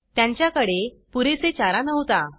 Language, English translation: Marathi, They did not have enough fodder